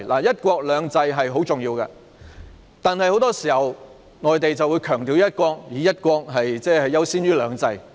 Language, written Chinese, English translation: Cantonese, "一國兩制"十分重要，但很多時候，內地只強調"一國"，以"一國"優先於"兩制"。, One country two systems is very important but more often than not the Mainland emphasizes only one country and gives priority to one country over two systems